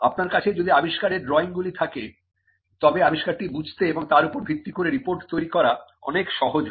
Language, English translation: Bengali, If you have drawings of the invention, then it becomes much easier for the person to understand the invention and to generate a report based on that